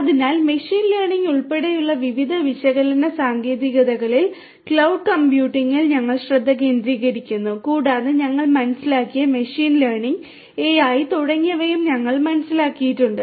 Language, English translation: Malayalam, So, we are focusing on cloud computing different different you know analytic techniques including machine learning etcetera and also we have understood machine learning AI etcetera we have understood